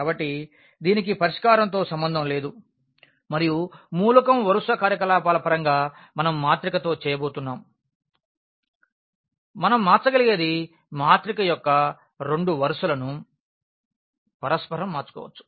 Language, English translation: Telugu, So, it has nothing to do with the solution and that exactly in terms of the element row operations we will be doing with the matrix that we can change we can interchange any two rows of the matrix